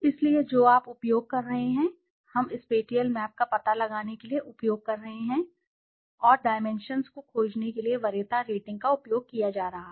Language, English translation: Hindi, So which one you are using, similarity we are using to find out spatial map and preference ratings are being used to find the dimensions